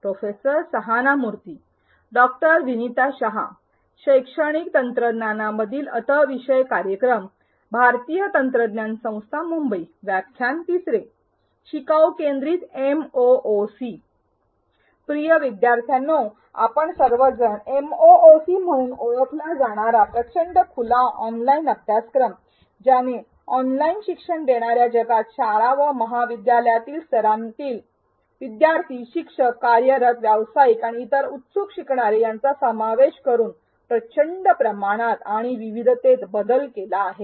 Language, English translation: Marathi, Dear learners as we all know Massive Open Online Courses also known as MOOCs have revolutionized the world of online learning catering to an enormous scale and diversity of learners, including school and college level students, teachers, working professionals and other eager learners